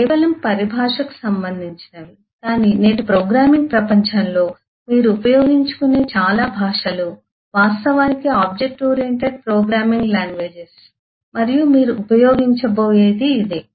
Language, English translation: Telugu, but most of the languages that you will get to use in todays programming while are actually object oriented programming languages and this is what you will be using